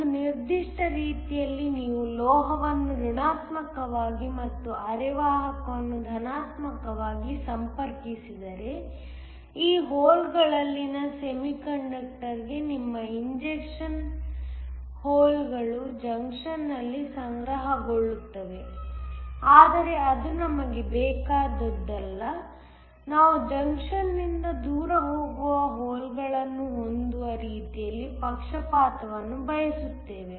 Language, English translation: Kannada, In one particular way if you connect the metal to a negative and a semiconductor to a positive then your injecting holes into the semiconductor in these holes will accumulate at the junction, but that is not what we want we want to bias in such a way that we are going to have holes moving away from the junction